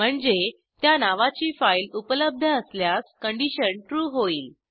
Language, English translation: Marathi, Which means, if a file of that name exists, the conditon will be true